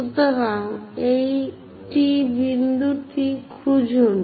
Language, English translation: Bengali, So, find this point T